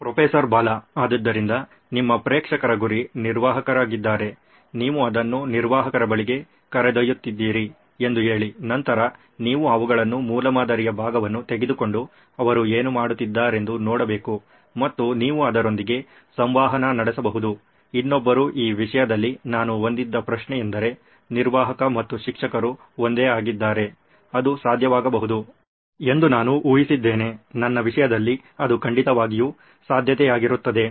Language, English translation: Kannada, So when you going your target audience is admin, say suppose you are taking it to an administrator then you will need to take them that part of prototype and see what is it that they are doing and you can interact with that, another question I had in this regard is what if the admin and the teacher are one and the same because I envisage that could be a possibility, in my case it would definitely be a possibility